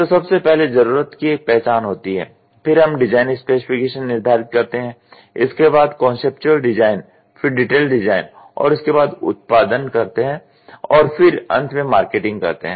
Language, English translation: Hindi, Need recognition, then we go for design specification, then we go for conceptual design, then we go for detail design, we go for production and we then go for marketing